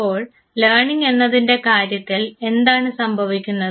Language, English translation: Malayalam, So, what happens in the case of learning